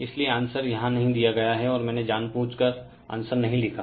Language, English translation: Hindi, So, answer is not given here I given intentionally I did not write the answer